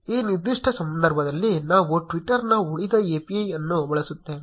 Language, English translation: Kannada, In this specific case, we will be using the rest API of twitter